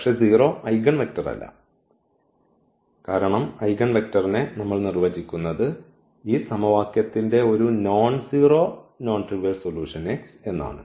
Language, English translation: Malayalam, But, 0 is not the eigenvector because the eigenvector we define as the nonzero, nonzero x the non trivial solution of this equation